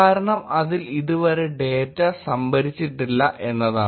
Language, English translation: Malayalam, That is because it does not have any data stored yet